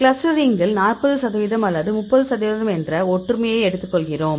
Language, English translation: Tamil, Cluster we have the clustering; see similarity we take the similarity of 40 percent or 30 percent